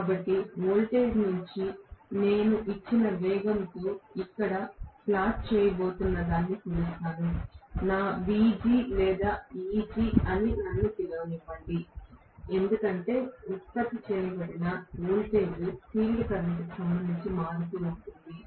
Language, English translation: Telugu, So, the voltage is measure what I am going to plot here at a given speed how my VG or EG let me call this as generated voltage is varying with respect to the field current, right